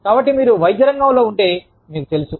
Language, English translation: Telugu, So, you know, if you are in the medical field